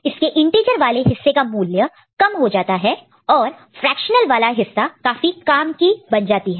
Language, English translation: Hindi, So, this value, becomes integer value becomes less, and the fractional part we have got we know more interest